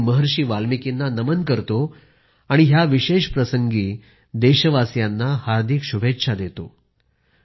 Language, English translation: Marathi, I pay my obeisance to Maharishi Valmiki and extend my heartiest greetings to the countrymen on this special occasion